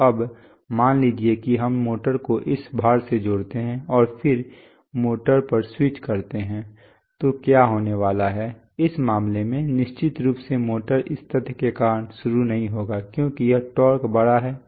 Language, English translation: Hindi, So now, if the, suppose that we connect the motor to this load and then switch on the motor, what is going to happen, say initially in this case, of course there is a, the motor will not start because of the fact that this torque is larger